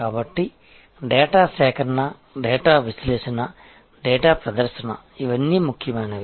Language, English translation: Telugu, So, data collection, data analysis, data presentation, these are all important